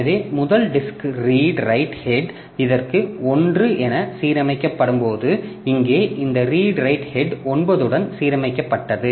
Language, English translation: Tamil, So, so when the first, when for the first disk, redried head got aligned to one for this here also this redrite head got aligned to nine